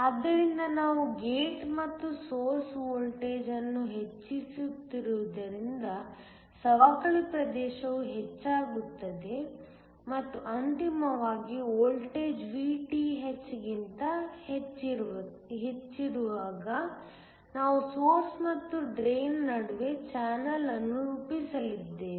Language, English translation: Kannada, So, As we keep increasing the gate and source voltage, the depletion region is going to increase and ultimately, when the voltage is above Vth, we are going to form a channel between the source and the drain